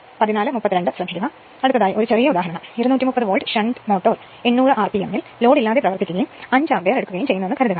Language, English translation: Malayalam, So, next take one small example suppose a 230 volts shunt motor runs at 800 rpm on no load and takes 5 ampere